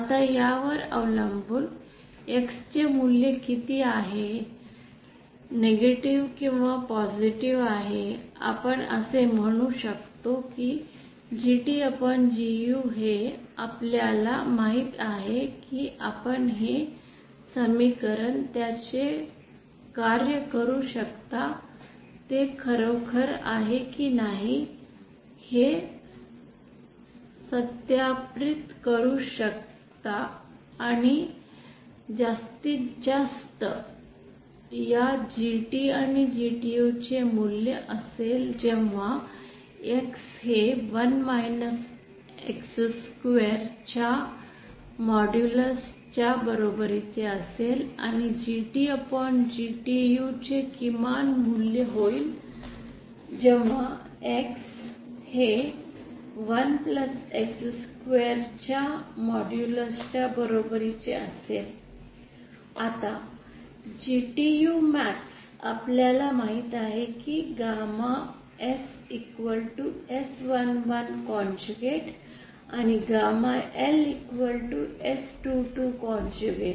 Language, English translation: Marathi, Now depending on what value of X is whether it is positive or negative, we can say that this GT upon GU, this equation you know you can work it out you can see that it is really and can verify that it is true the maximum value of this GT and GTU will be when x is when this is equal to 1 minus modulus of x square, and the minimum of value of GT upon GTU will happen when this value becomes equal to 1 plus modulus of X square